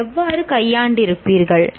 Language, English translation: Tamil, How would you have handled